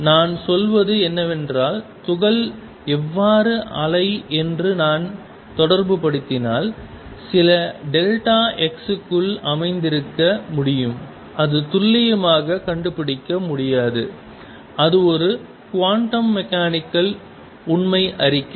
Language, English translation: Tamil, What I am saying is if I associate how wave with the particle, it can best be located within some delta x it cannot be located precisely, and that is a quantum mechanical true statement